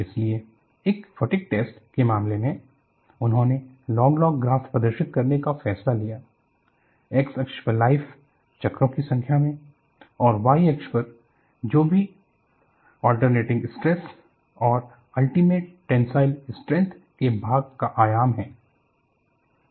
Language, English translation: Hindi, So, in the case of a fatigue test, they decided to plot a log log graph between the life, in number of cycles and you have the y axis is, whatever the amplitude of the alternating stress divided by the ultimate tensile strength